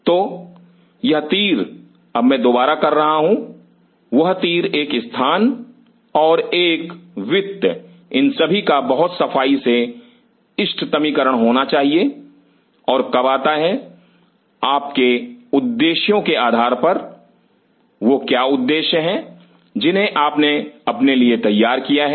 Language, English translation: Hindi, So, this arrow now I am again redoing that arrow a space and a finance these has to be optimized very neatly and then come based on your objectives, what are the objectives you have set for yourself